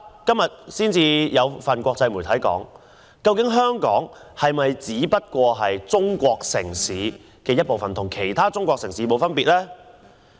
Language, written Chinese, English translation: Cantonese, 今天有一份國際報紙質疑，香港是否已成為中國其中一個城市，與其他城市沒有分別。, An international newspaper today queries whether Hong Kong has become one of the cities in China just like any other cities?